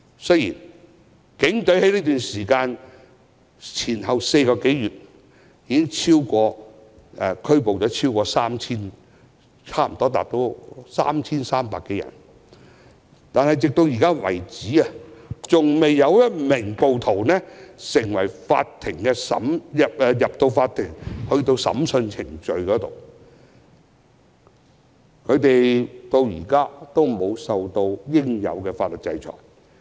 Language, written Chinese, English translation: Cantonese, 雖然警隊在過去4個多月已前後拘捕了近 3,300 多人，但直至目前為止，依然未有任何有關的案件完成法庭審訊程序，未有任何一名暴徒受到應有的法律制裁。, Despite the arrest of close to 3 300 persons in the past four months by the Police to date no court proceedings of any relevant case have been concluded and not a single rioter has been brought rightly to justice